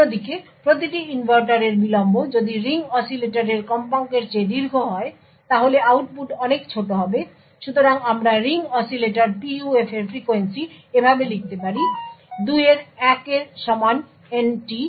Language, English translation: Bengali, On the other hand, if the delay of each inverter is long than the frequency of the ring oscillator output will be much smaller, So, we could actually write the frequency of ring oscillator PUF like this, So, as is equal to 1 by 2 n t